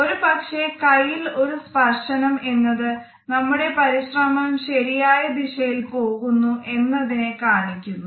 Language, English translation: Malayalam, Sometimes we find that a single touch on the forearm tells us that our efforts are moving in the correct direction